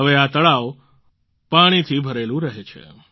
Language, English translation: Gujarati, Now this lake remains filled with water